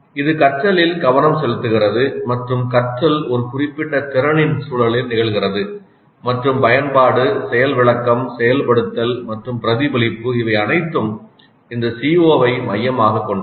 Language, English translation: Tamil, This brings focus to the learning and the learning occurs in the context of a very specific competency and the application and the demonstration and the activation and the reflection all center around this CO